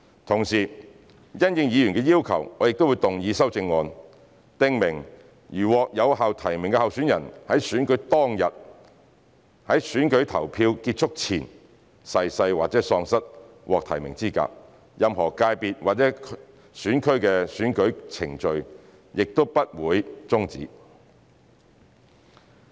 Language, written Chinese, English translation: Cantonese, 同時，因應議員的要求，我亦將動議修正案，訂明如獲有效提名的候選人在選舉當日，在選舉投票結束前逝世或喪失獲提名的資格，任何界別或選區的選舉程序均不會終止。, Furthermore as requested by Members I will move an amendment to specify that in case of death or disqualification of a validly nominated candidate in a GC and an FC on the date of an election but before the close of polling for the election the relevant election proceedings would not be terminated